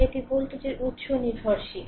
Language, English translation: Bengali, So, dependent voltage source is there